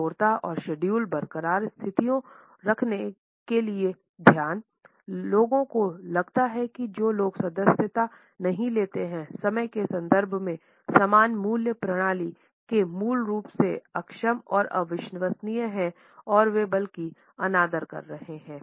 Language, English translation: Hindi, The rigidity and the focus to keep the schedules intact conditions, people to think that those people who do not subscribe to similar value system in the context of time are basically inefficient and unreliable and at the same time they are rather disrespectful